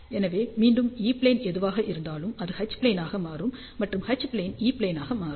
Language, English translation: Tamil, So, again whatever is E plane, it will become H plane; and H plane will become E plane